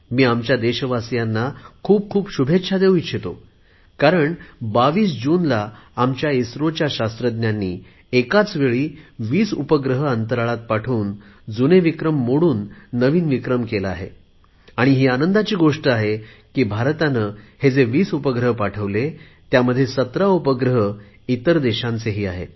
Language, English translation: Marathi, I also want to congratulate the people of the country that on 22nd June, our scientists at ISRO launched 20 satellites simultaneously into space, and in the process set a new record, breaking their own previous records